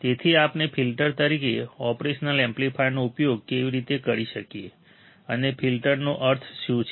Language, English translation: Gujarati, So, how we can use operational amplifier as filters and what exactly filter means